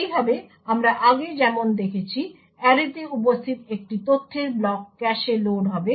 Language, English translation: Bengali, Thus, as we seen before one block of data present in array would be loaded into the cache